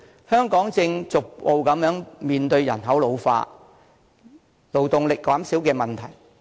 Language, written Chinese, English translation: Cantonese, 香港目前正逐步面對人口老化、勞動力減少的問題。, Hong Kong is now beginning to face the problems of population ageing and a dwindling workforce